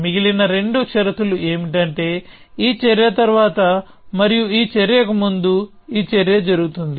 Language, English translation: Telugu, The other two conditions are that this action happens after this action and before this action